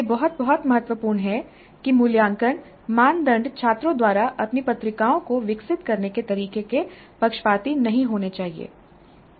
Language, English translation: Hindi, So, it is very, very important that the assessment criteria should not bias the way students develop their journals